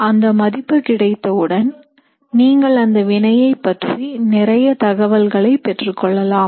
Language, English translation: Tamil, And once you get that value, you can get a lot of information about the reaction